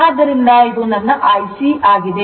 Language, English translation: Kannada, So, this is IC right